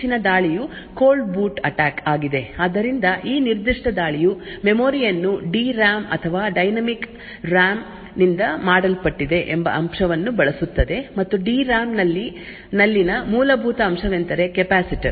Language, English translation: Kannada, So, another recent attack is the Cold Boot Attack, So, this particular attack use the fact that the memory is made out D RAM or the dynamic RAM and the fundamental component in the D RAM is the capacitor